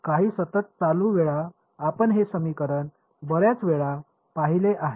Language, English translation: Marathi, Some constant times the current we have seen this equation many time